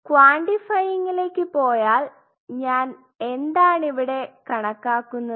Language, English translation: Malayalam, If I go to the quantifying what am I quantifying here